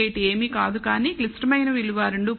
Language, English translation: Telugu, 18 is nothing, but the critical value 2